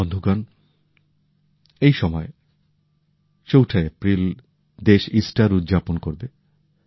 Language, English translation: Bengali, Friends, during this time on April 4, the country will also celebrate Easter